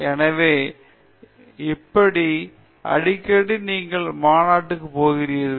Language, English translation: Tamil, So, how often have you been going to conferences